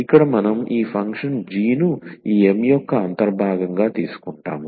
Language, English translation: Telugu, So, here we take this function g as the integral of this M the given M here such that